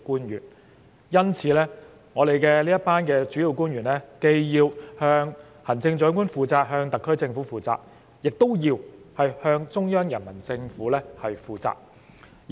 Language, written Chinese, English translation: Cantonese, 因此，我們這群主要官員既要向行政長官及特區政府負責，亦要向中央人民政府負責。, Hence principal officials are answerable to both the Chief Executive and the SAR Government and also the Central Peoples Government